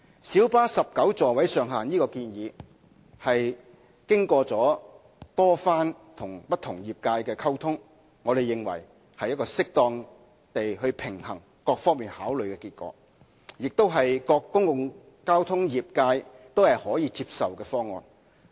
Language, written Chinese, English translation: Cantonese, 小巴19個座位上限的建議是經過多次與不同業界溝通後，我們認為是一個適當平衡多方考慮的結果，亦是各公共交通業界皆可接受的方案。, In our view the proposal to increase the maximum seating capacity of light buses to 19 which has been made after close communications with various trades is an outcome which has properly balanced the considerations of various stakeholders as well as an option acceptable to all public transport trades